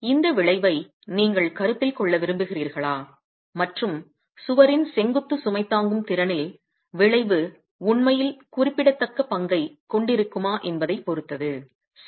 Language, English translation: Tamil, It is then, it depends on if you want to consider this effect and whether the effect are actually having a significant role to play in the vertical load carrying capacity of the wall